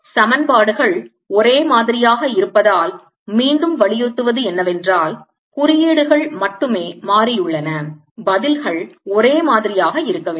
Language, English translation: Tamil, again emphasizing: since the equations are the same, only the symbols have changed, the answers should be the same